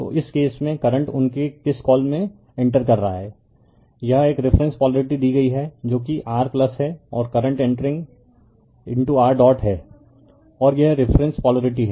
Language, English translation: Hindi, So, in this case current is entering in their what you call this is a reference polarity is given that is your plus right and current entering into the your dot right and this is the reference polarity